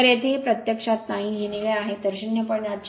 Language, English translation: Marathi, So, here it is actually not this one, this is blue one right, so 0